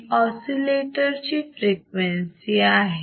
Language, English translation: Marathi, So, what we have seen in oscillators